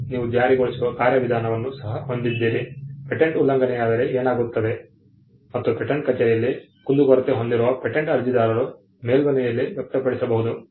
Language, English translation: Kannada, And you also have an enforcement mechanism, what happens if the patent is infringed, how can patent applicants who have a grievance at the patent office agitated in appeal